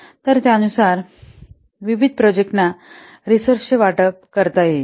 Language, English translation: Marathi, So accordingly accordingly, the resources can be allocated to different projects